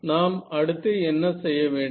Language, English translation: Tamil, So, what could we do next